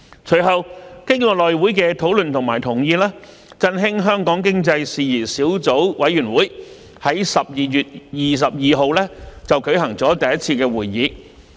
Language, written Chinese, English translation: Cantonese, 隨後，經過內務委員會的討論和同意，振興香港經濟事宜小組委員會在12月22日舉行了第一次會議。, Later on after discussion the Subcommittee was formed with the consent of the House Committee and held its first meeting on 22 December